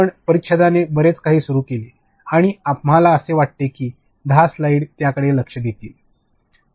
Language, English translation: Marathi, We have begun with this much this paragraph and we think that these 10 slides will take care of it